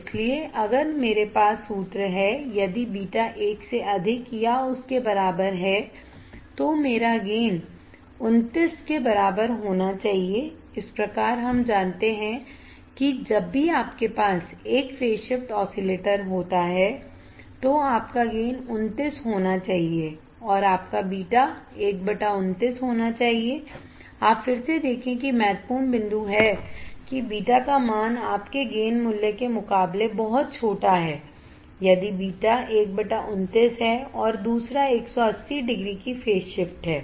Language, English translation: Hindi, So, if I have the formula a beta is greater than or equal to one my gain should be equal to 29 right thus we know that whenever you have a phase shift oscillator you’re gain should be 29 and your beta should be 1 by 29, you see again that the important point is beta is extremely small compared to your gain value right if 29 beta is 1 by 29 and another 1 is the phase shift of 180 degree